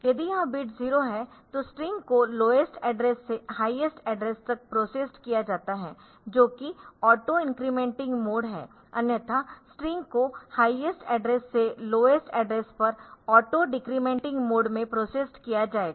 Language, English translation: Hindi, So, this is again for the string manipulation operation if this bit is 0 the string is process beginning from the lowest address to the highest address that is in auto incrementing mode otherwise the string will be processed from highest address to towards the lower address in auto incrementing mode auto decrementing mode